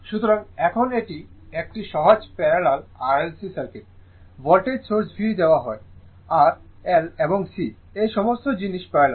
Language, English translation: Bengali, So, now this is a simple parallel circuit right RLC circuit, voltage source V is given, R, L and C, all these things are parallel